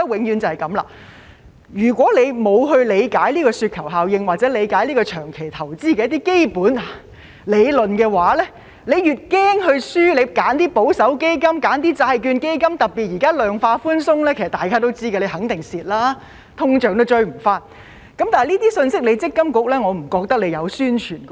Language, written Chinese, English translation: Cantonese, 如果不理解這個雪球效應或長期投資的基本理論，因害怕輸而選擇保守基金、債券基金，特別是現在量化寬鬆，大家也知道肯定會蝕的，連通脹也追不上，但我不見積金局有宣傳這些信息。, If he does not understand the snowball effect or the basic theory of long - term investment and thus chooses a conservative fund or a bond fund in fear of losses he will definitely lose and even fail to catch up with inflation especially under the quantitative easing policy now . Yet I have not seen MPFA promoting these messages